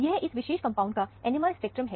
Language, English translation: Hindi, This is the NMR spectrum of this particular compound